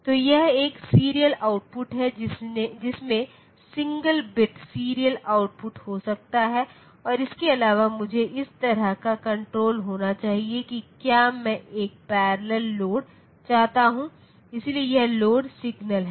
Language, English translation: Hindi, So, this is a serial output can have single bit serial output and apart from that I should have control like whether I want a parallel load, so this load signal